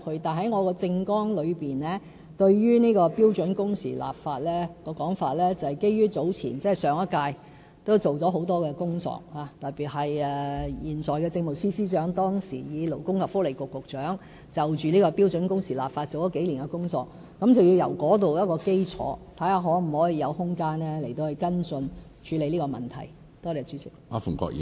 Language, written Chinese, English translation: Cantonese, 但是，我在政綱之中，提出標準工時的立法，是基於上一屆政府已經做了很多工作，特別是現任政務司司長當時以勞工及福利局局長的身份，已就標準工時立法做了數年工作，我們可以在這個基礎之上，看看是否有空間跟進處理這個問題。, But let me explain that the advocacy of enacting legislation on standard working hours in my election platform is based on my understanding that the previous Government already did a lot of work in this regard . In particular when the present Chief Secretary for Administration was the Secretary for Labour and Welfare he really did lots of work on enacting legislation to implement standard working hours . On this basis we can explore whether there is any room for following up and tackling the matter